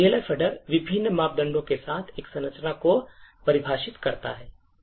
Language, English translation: Hindi, So, the Elf header defines a structure with various parameters